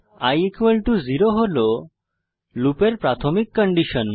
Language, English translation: Bengali, i =0 is the starting condition for the loop